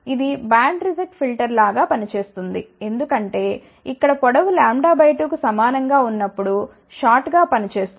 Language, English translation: Telugu, It will act like a band reject filter, because short here will act as a short when the length is equal to lambda by 2